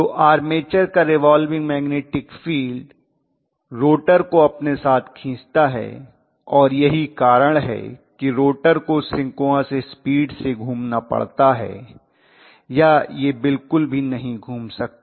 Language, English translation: Hindi, So the armature revolving magnetic field essentially drags the rotor along and that is the reason why rotor has to rotate at synchronous speed or it cannot rotate at all